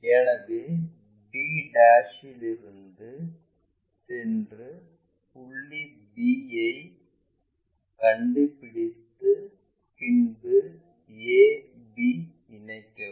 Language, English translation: Tamil, So, the step goes from b ' locate point b and join a b